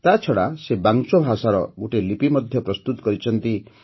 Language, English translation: Odia, A script of Vancho language has also been prepared